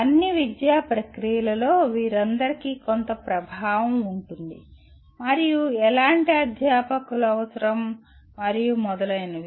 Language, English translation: Telugu, All of them will have some influence in all the academic processes and what kind of faculty are required and so on